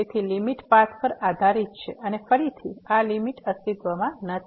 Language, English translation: Gujarati, Therefore, the limit depends on the path and again, this limit does not exist